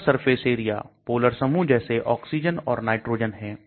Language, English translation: Hindi, Polar surface area; polar groups are like oxygen and nitrogen